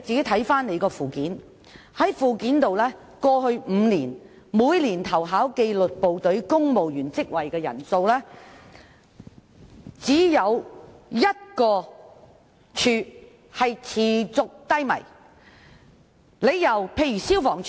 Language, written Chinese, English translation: Cantonese, 從附件可見，過去5年每年投考紀律部隊公務員職位的人數，只有1個部門的投考人數持續偏低，那就是消防處。, It can be seen from the Annex that among the number of applicants for civil service positions in the disciplined services in the past five years the number of applicants for one department has constantly remained low and that department is FSD